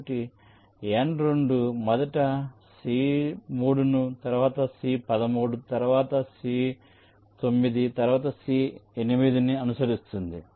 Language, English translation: Telugu, so n two will be following first c three, then c thirteen, then c nine, then c eight, then n three